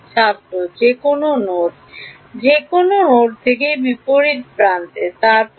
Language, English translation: Bengali, From any node to the opposite edge and then